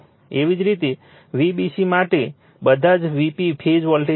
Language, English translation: Gujarati, Similarly, for V bc all are V p phase voltage